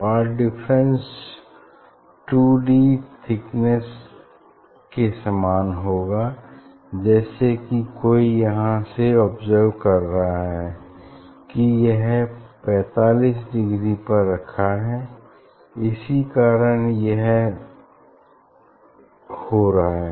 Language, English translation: Hindi, path difference will be 2 d equal thickness as if this someone from here observer will see this is placed at a 45 degree that is why this is happening